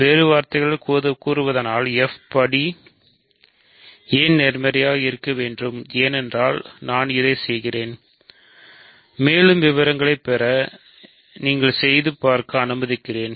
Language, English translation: Tamil, In other words degree of f must be positive why because I will just say this and I will let you work out the details